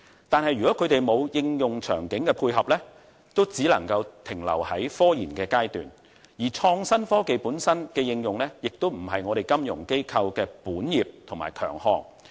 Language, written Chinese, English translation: Cantonese, 但是，如果他們沒有應用場境的配合，則只能夠停留在科研階段，而創新科技本身的應用亦非金融機構的本業及強項。, VC enterprises have innovations but if there is no setting for them to apply their innovation they will only be confined to technological research . On the other hand the application of innovative technology is not the strength of financial institutions